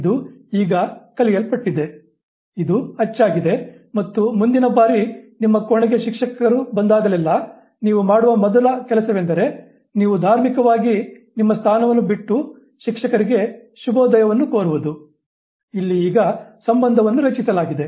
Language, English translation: Kannada, This is now learn, this is ingrained, and next time onwards whenever a teacher enters your room, first thing you do is that you religiously leave your seat and wish the teacher, good morning